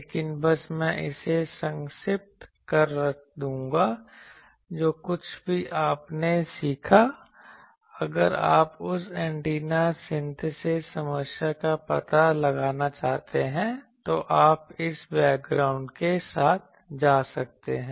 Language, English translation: Hindi, But just I will sketch that, whatever you learned if you want to explore that antenna synthesis problem, you can go with this background ok